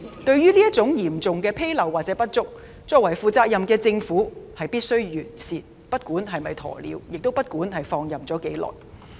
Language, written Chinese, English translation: Cantonese, 對於這種嚴重紕漏或不足，作為負責任的政府必須完善，不管是否"鴕鳥"，亦不管已放任多久。, As a responsible government it must address such imperfections and inadequacies irrespective of whether it has been acting like an ostrich or the duration of the situation having been left unattended